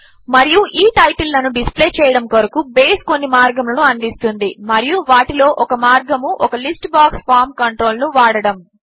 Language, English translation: Telugu, And so, to display these titles, Base provides some ways, and one of the ways is by using a List box form control